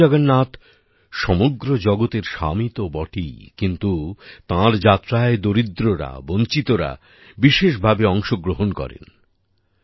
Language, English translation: Bengali, Bhagwan Jagannath is the lord of the world, but the poor and downtrodden have a special participation in his journey